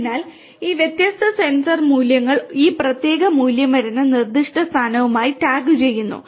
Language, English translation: Malayalam, So, this the different sensor values these are also tagged with the specific location from where this particular value is coming